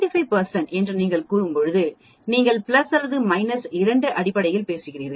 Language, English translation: Tamil, So when you say 95 percent you are talking in terms plus or minus 2 sigma